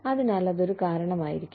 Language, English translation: Malayalam, So, that might be a reason